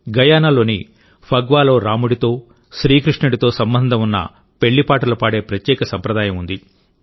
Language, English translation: Telugu, In Phagwa of Guyana there is a special tradition of singing wedding songs associated with Bhagwan Rama and Bhagwan Krishna